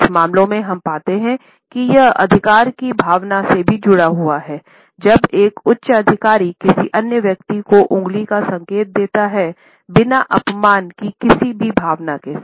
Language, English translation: Hindi, In some cases we find that it is also associated with a sense of authority, when a person holding a superior position can indicate other people with a finger, without associating the finger pointer with any sense of insult